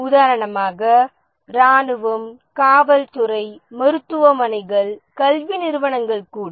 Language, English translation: Tamil, For example, military, police, hospitals, even educational institutes